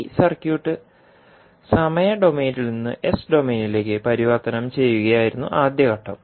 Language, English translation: Malayalam, So these three steps, first step was the transformation of this circuit from time domain into s domain